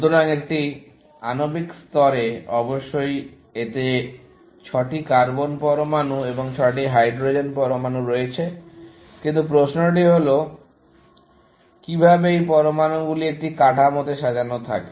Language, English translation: Bengali, So, at a molecular level, of course, it has 6 carbon atoms and 6 hydrogen atoms, but the question to ask is; how are these atoms arranged, in a structure